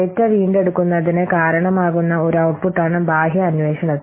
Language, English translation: Malayalam, So an external inquiry is an output that results in data retrieval